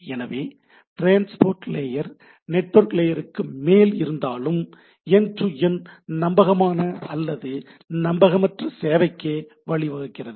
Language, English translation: Tamil, So, though transport layer sits over network layer, it has the protocols supports to for a for giving a provision for end to end reliable service or in case of unreliable services right